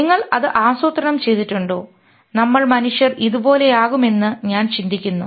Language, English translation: Malayalam, Did we plan that, oh, fine, we human beings are going to be like this